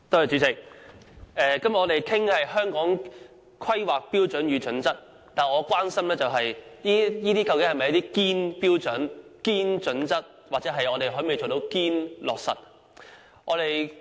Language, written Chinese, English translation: Cantonese, 主席，我們今天討論的是《香港規劃標準與準則》，但我關心的是這些是否"堅"標準、"堅"準則，我們可否做到"堅"落實。, President today we are discussing the Hong Kong Planning Standards and Guidelines HKPSG but my concern is whether such standards and guidelines are genuine that we can genuinely implement